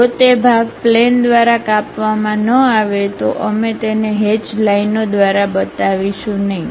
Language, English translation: Gujarati, If that part is not cut by the plane, we will not show it by hatched lines